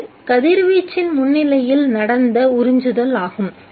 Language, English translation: Tamil, This is absorption which takes place in the presence of radiation